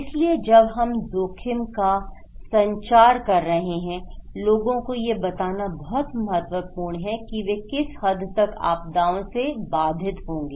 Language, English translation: Hindi, So, when we are communicating risk, it is very important to tell people what extent, how extent they will be hampered by disasters okay